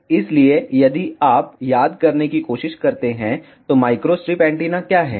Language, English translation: Hindi, So, if you try to recall, what is micro strip antenna